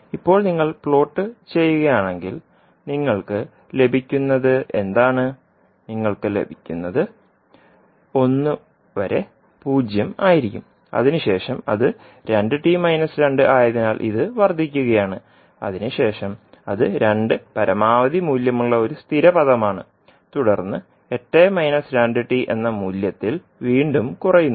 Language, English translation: Malayalam, Now if you plot what you will get, you will get that up to one it is zero and then it is incrementing because it is a two t minus two then it is a constant with maximum value of two